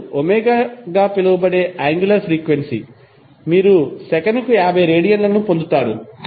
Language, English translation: Telugu, Now angular frequency that is omega you will get equal to 50 radiance per second